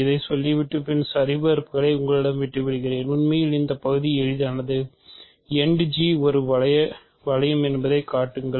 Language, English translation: Tamil, So, let me set this up and leave the actual verifications to you this part is easy, show that End G is a ring